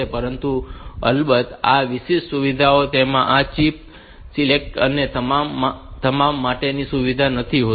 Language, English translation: Gujarati, But, of course, this particular feature it does not have the facility for this chip select and all that